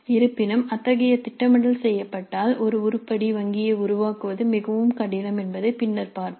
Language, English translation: Tamil, However, if such a planning is done, then we'll see later that creating an item bank becomes very difficult